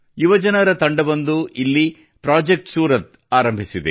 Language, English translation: Kannada, A team of youth has started 'Project Surat' there